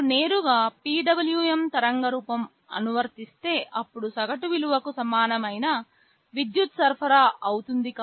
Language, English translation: Telugu, If the PWM waveform you are applying directly, then the average value will be the equivalent power supply